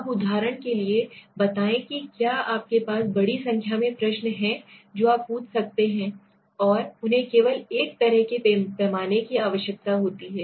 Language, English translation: Hindi, Now for example, let us say if you have in large number of question which you can ask right, and they need only one kind of a scale